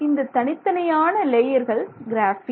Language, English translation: Tamil, So, you basically have these layers of graphene